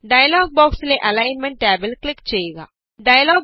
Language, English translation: Malayalam, Click on the Alignment tab in the dialog box